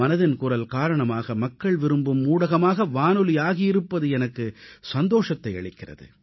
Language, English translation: Tamil, I am overjoyed on account of the fact that through 'Mann Ki Baat', radio is rising as a popular medium, more than ever before